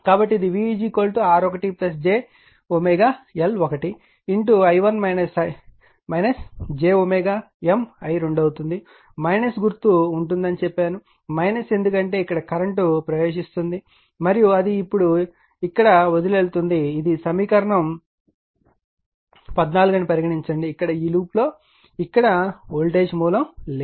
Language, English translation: Telugu, So, it will be V is equal to R 1 plus j L 1 omega into i 1 minus j omega M i 2, I told you the sign will be minus because current here is entering and it is leaving now you have taken, this is equation 14 say here in this loop p where there is no voltage source here